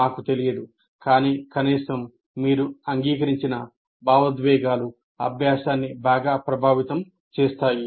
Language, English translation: Telugu, We do not know, but at least you have to acknowledge emotions greatly influence learning